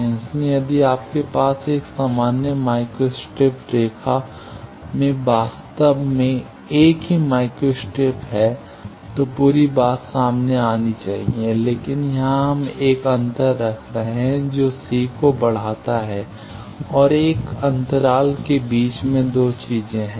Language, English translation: Hindi, So, if you have a single micro strip actually in a normal micro strip line, whole thing should come total, but here we are keeping a gap that given raise to c now 2 tings there in between a gap